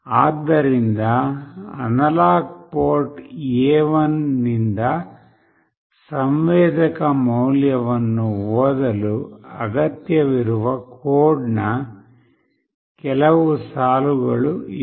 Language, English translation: Kannada, So, these are the few lines of code that are required to read the sensor value from the analog port A1